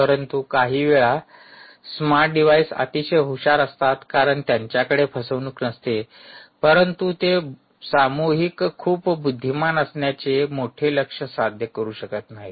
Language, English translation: Marathi, but at some point in time the smart devices, while they are very smart, may not have a con ah may not be able to achieve a bigger goal of being collectively very intelligent